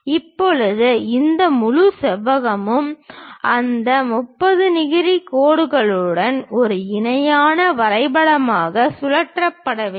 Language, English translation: Tamil, Now, this entire rectangle has to be rotated as a parallelogram with that 30 degrees line